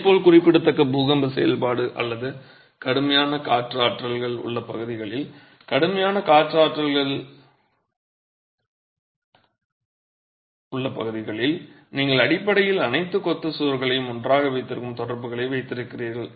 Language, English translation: Tamil, Similarly in regions of significant earthquake activity or heavy wind forces in regions or heavy wind forces are present you have ties that basically hold all the masonry walls together